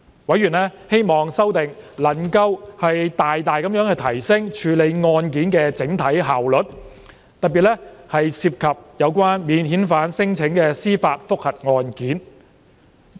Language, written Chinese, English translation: Cantonese, 委員希望修訂能夠大大提升處理案件的整體效率，特別是涉及免遣返聲請的司法覆核案件。, Members hope that the amendments can greatly increase the overall efficiency of case handling particularly for judicial review JR cases involving non - refoulement claims